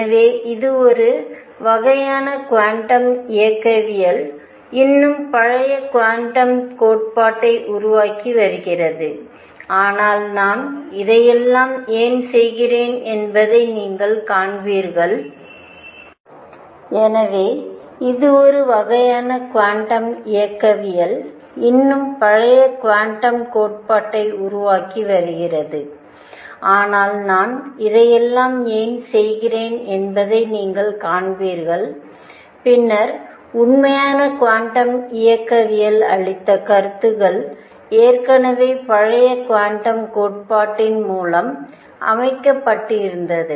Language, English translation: Tamil, So, this was a kind of quantum mechanics being developed still the old quantum theory, but why I am doing all this is what you will see is that the ideas that later the true quantum mechanics gave the answers that the true quantum mechanics gave was ideas were already setting in through older quantum theory